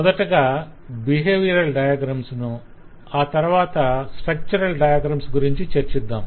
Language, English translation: Telugu, we are first talked about the behavioral diagrams and then we talk about the structural diagrams